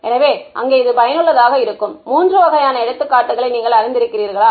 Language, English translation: Tamil, So, there are at least you know three different kinds of examples where this is useful